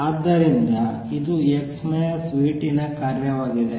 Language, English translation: Kannada, So, this is a function of x minus v t